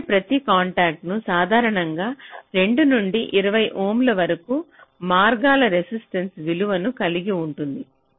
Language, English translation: Telugu, now each such contact typically will be having a resistance value which can vary from two to twenty ohm